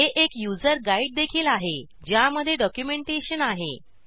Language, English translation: Marathi, It also has a user guide which contains the documentation